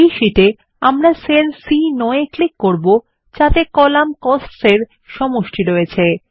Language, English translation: Bengali, In this sheet, we will click on the cell C9 which contains the total under the column Cost